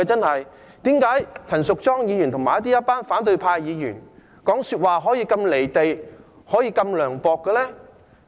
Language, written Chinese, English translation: Cantonese, 為何陳淑莊議員和一群反對派議員說話可以如此離地、如此涼薄呢？, How can Ms Tanya CHAN and a group of opposition Members be so out of touch with reality and heartless in making such remarks?